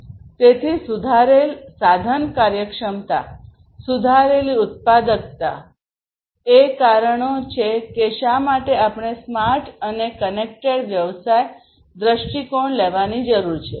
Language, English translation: Gujarati, So, improved resource efficiency; improved productivity are the reasons why we need to take smart and connected business perspective